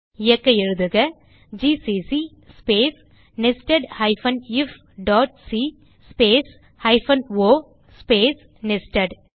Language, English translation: Tamil, To execute , Type gcc space nested if.c space hyphen o space nested